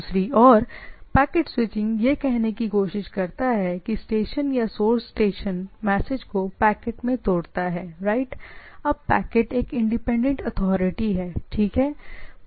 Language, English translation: Hindi, On the other hand, the packet switching try to say that the station or source station breaks the message into packets right, typically smaller chunks of packets now packets are now becomes a independent authority, right